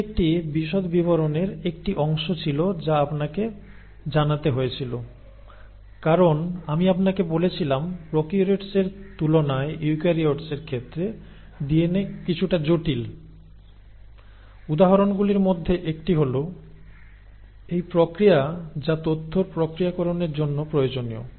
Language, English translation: Bengali, So this was a little bit of a detailing which had to be told because I told you, remember, that the DNA is a little more complex in case of eukaryotes than prokaryotes and part of it, one of the examples is this process which is necessary for the processing of the information